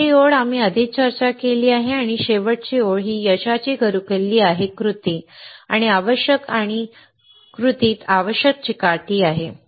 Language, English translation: Marathi, The second line, we already discussed and the final one is the key to success is action and essential and the essential in action is perseverance